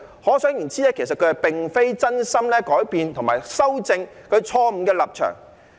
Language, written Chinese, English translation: Cantonese, 可想而知，他並非真心改變及修正其錯誤的立場。, From this we can tell that he did not genuinely change and correct his wrong position